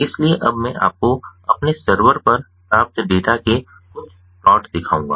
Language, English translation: Hindi, so now i will show you some of the plots of the data that i received at our server